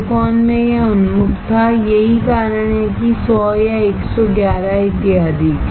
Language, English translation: Hindi, In silicon there were crystals it was oriented, that is why 100 or 111 etc